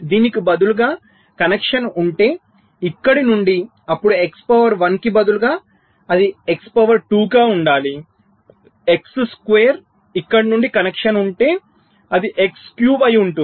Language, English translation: Telugu, so if, instead of this, there is a connection from here, then instead of x, two, a one, it should be x, x to the power two, x square